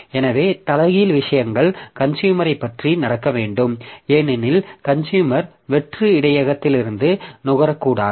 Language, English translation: Tamil, So, reverse thing should happen about the consumer because consumer should not consume from an empty buffer